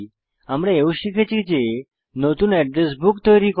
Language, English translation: Bengali, We also learnt how to: Create a New Address Book